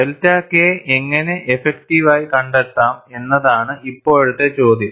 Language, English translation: Malayalam, Now, the question is, how to find delta K effective